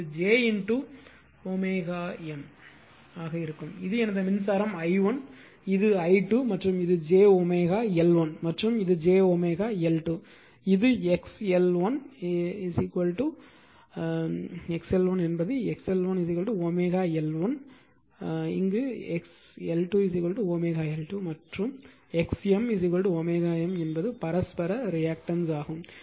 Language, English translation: Tamil, So, it will be j into omega M and this is my yourI current i1 this is i 2 and this is j omega L 1 right and this is your j omega L 2 this is x l 1 x l 2 right x L 1 is omega L 1 x, L 2 is omega L 2 and x M is equal to w M that is the mutual reactance right